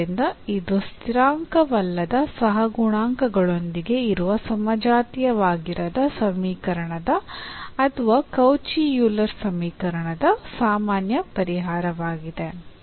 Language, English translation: Kannada, So, this serves as a general solution of the given non homogeneous equation with non constant coefficients or the Cauchy Euler equation